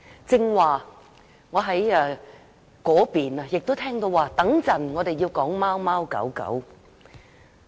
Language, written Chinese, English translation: Cantonese, 剛才在我那邊亦聽到，稍後我們要討論貓貓狗狗。, I also heard just now certain Members on that side saying that they were going to talk about cats and dogs in a moment